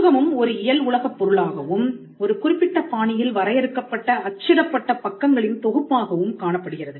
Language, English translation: Tamil, The book also manifests as a physical object, a collection of printed pages which is bounded in a particular fashion